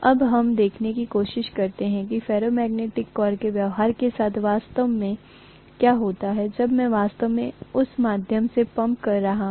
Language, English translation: Hindi, Now let us try to see what happens exactly to the behavior of a ferromagnetic core when I am actually pumping in current through that, okay